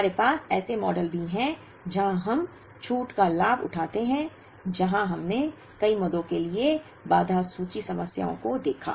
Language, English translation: Hindi, We also had models of where, we avail discount, where we looked at constraint inventory problems for multiple items